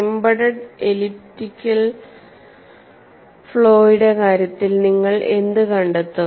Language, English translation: Malayalam, So, in the case of an embedded elliptical flaw, what do you find